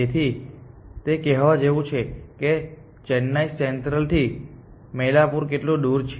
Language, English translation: Gujarati, So, it is like saying how far Mailapur from Chennai central